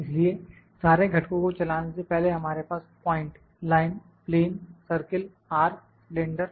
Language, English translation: Hindi, So, before moving the all the components we have point, line, plane, circle, arc, cylinder